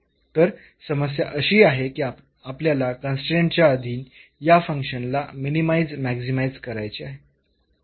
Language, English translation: Marathi, So, the problem is that we want to minimize maximize this function subject to this constraint